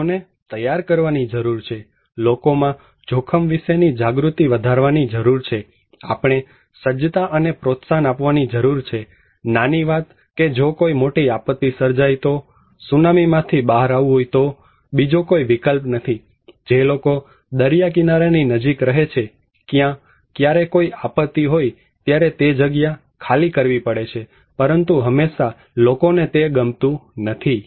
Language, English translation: Gujarati, we need to make people, increase people's risk awareness, we need to promote preparedness, small thing that if there is a big disaster, is the tsunami you have to evacuate, no other option, people who are living near the coastal side, they have to evacuate when there is a disaster, but people always do not like that